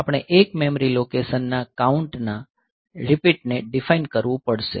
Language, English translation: Gujarati, So, we define a one memory location repeat count